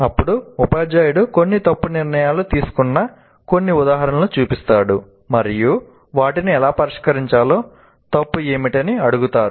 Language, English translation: Telugu, And then the teacher shows some examples where certain wrong decisions are made and asks what is wrong and how to fix them